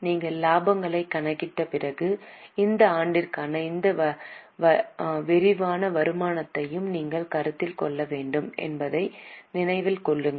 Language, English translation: Tamil, Keep in mind that after you calculate the profits you will also have to consider this other comprehensive income for the year